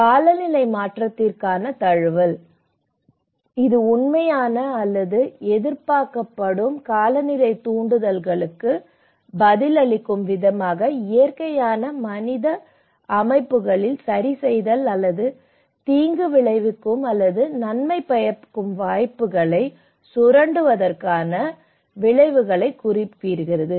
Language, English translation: Tamil, And adaptation to climate change; it refers to adjustment in natural human systems in response to actual or expected climatic stimuli or their effects which moderates harm or exploits beneficial opportunities